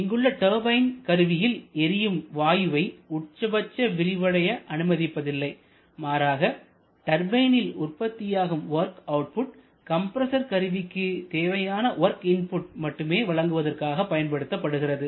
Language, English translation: Tamil, But in the turbine we do not allow the gas to expand to the maximum level possible rather the turbine work is produced such that it is nearly equal to the compressor work